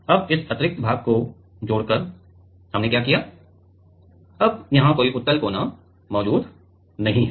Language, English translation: Hindi, Now, adding this extra portion what we have done that; now the there does not exist any convex corner